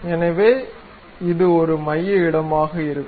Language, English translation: Tamil, So, that it will be place center